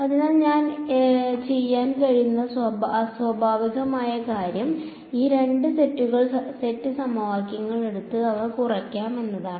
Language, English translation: Malayalam, So, the natural thing that I could do is I can take these two sets of equations and subtract them